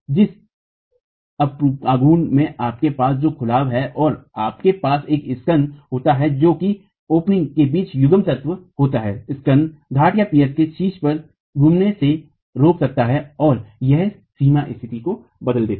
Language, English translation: Hindi, The moment you have an opening and you have a spandrel which is a coupling element between the opening, the spandrel can prevent the rotations at the top of the piers and it changes the boundary condition